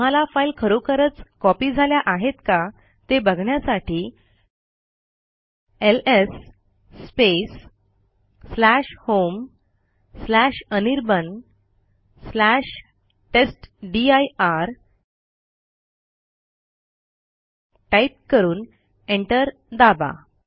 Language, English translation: Marathi, You see that this files have actually been copied.We will type ls space /home/anirban/testdir and press enter